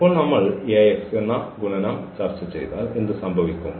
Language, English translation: Malayalam, And now if we discuss this multiplication, so, what will happen